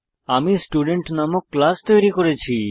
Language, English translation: Bengali, I have already created a class named Student